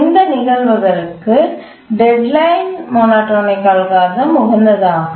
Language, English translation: Tamil, For these cases, the deadline monotonic algorithm is the optimal